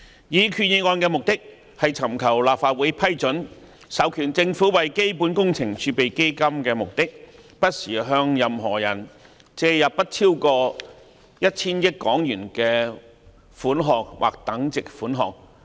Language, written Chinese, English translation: Cantonese, 擬議決議案的目的是尋求立法會批准，授權政府為基本工程儲備基金的目的，不時向任何人借入不超過 1,000 億港元的款項或等值款項。, The proposed Resolution seeks the Legislative Councils approval to authorize the Government to borrow from time to time from any person for the purposes of the Capital Works Reserve Fund CWRF sums not exceeding HK100 billion or equivalent